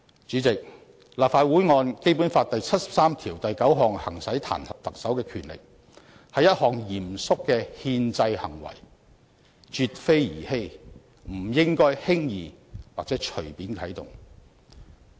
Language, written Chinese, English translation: Cantonese, 主席，立法會按《基本法》第七十三條第九項行使彈劾特首的權力，是一項嚴肅的憲制行為，絕非兒戲，不應輕易或隨便啟動。, President it is a solemn constitutional act for the Legislative Council to exercise its power to impeach the Chief Executive under Article 739 of the Basic Law . Such a power is no trifling matter and should not be exercised lightly or wilfully